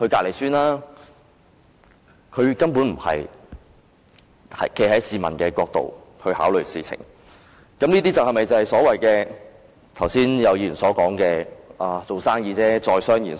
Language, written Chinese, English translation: Cantonese, 領展根本沒有站在市民的角度考慮事情，這些是否就是剛才有議員所說的，"做生意就是在商言商"？, Link REIT did not make any consideration from the angle of members of the public at all . Is this what some Members have said earlier Business is business?